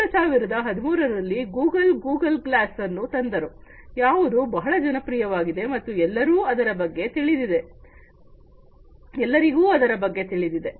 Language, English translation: Kannada, And, in 2013 Google came up with the Google glass, which is very popular and everybody knows about it at present